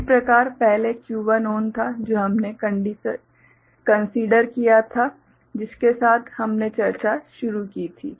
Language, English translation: Hindi, So, that way earlier Q1 was ON the consideration that we had, with which we had started the discussion